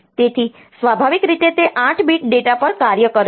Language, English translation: Gujarati, So, naturally it operates on 8 bit data